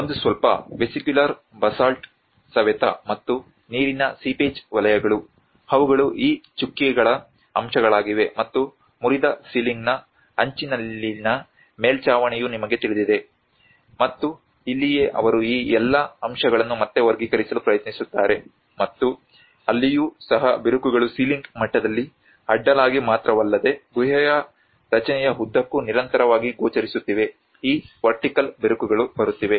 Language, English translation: Kannada, \ \ \ One is the slightly weathered vesicular basalt and also water seepage zones which are more of this dotted aspects of it and where the edge of the broken ceiling you know the roof, and this is where they try to again classify all these aspects and also where the cracks are also appearing continuously not only in a horizontal in the ceiling level but throughout the cave structure, how this vertical cracks are also coming up